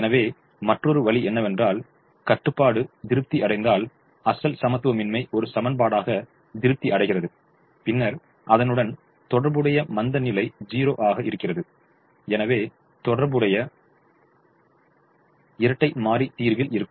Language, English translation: Tamil, so another way of saying is: if the constraint is satisfied, the original inequality is satisfied as an equation, then the corresponding slack will be zero and therefore the corresponding dual variable will be in the solution